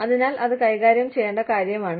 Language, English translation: Malayalam, So, that is something, that needs to be dealt with